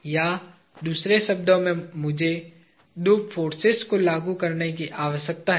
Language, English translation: Hindi, Or, in other words I need to apply two forces